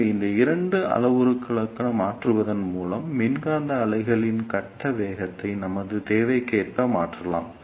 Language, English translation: Tamil, So, by varying these two parameters we can change the phase velocity of electromagnetic wave according to our requirement